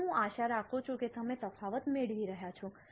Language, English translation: Gujarati, So, I hope you are getting the difference